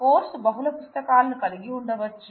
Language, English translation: Telugu, So, course can have multiple books